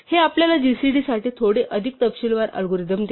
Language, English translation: Marathi, This gives us a slightly more detailed algorithm for gcd